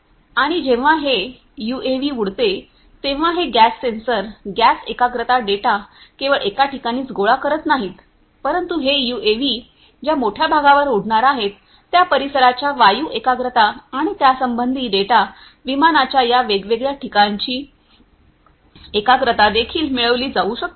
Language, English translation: Marathi, And these gas sensors when this UAV flies these gas sensors will be collecting the gas concentration data not just in one place, but because it is flying over a you know over a large area over which this UAV is going to fly, this gas concentration and the data about the gas concentration in these different locations of flight could also be retrieved